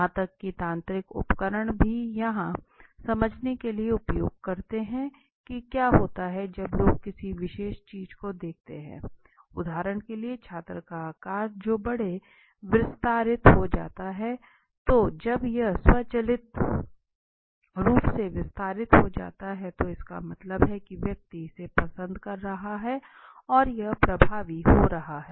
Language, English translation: Hindi, Even mechanical devices let me tell you are utilized to understand okay what happens when people look at a particular thing now for example the size of the now pupil that gets little expanded so when it get expanded automatically that means the person has become is liking it and it is getting effected